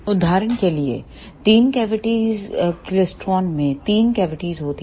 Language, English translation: Hindi, For example, in three cavity klystron, there are three cavities